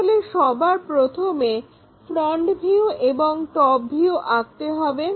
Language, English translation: Bengali, So, first of all one has to draw this front view, top view